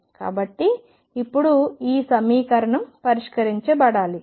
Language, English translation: Telugu, So now, this equation is to be solved